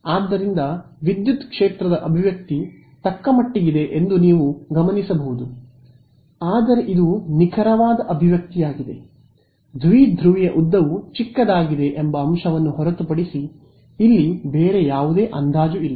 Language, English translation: Kannada, So, this is the especially you get you notice that the expression for the electric field is fairly scary looking, but this is the exact expression that is there are apart from the fact that the length of the dipole is small there is no other approximation here right